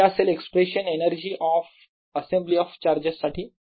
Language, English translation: Marathi, so that is the expression for the energy of an assembly of charges